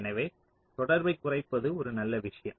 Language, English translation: Tamil, so reducing the contact is a good thing